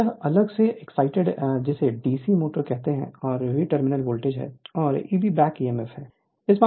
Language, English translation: Hindi, So, this is your separately excited your what you call DC motor, and V is the terminal voltage, and your E b is the back emf